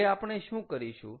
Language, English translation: Gujarati, so what do we have to do